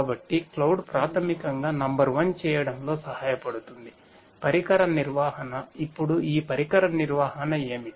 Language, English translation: Telugu, So, cloud basically will help in doing number one device management; device management, now what is this device management